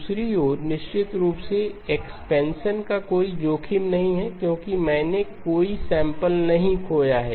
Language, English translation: Hindi, On the other hand, the expansion part of course there is no risk because I have not lost any samples